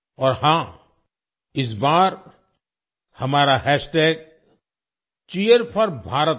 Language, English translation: Hindi, And yes, this time our hashtag is #Cheer4Bharat